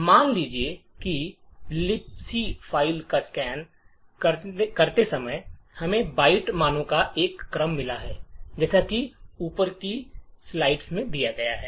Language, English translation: Hindi, Let us say while a scanning the libc file we found a sequence of byte values as follows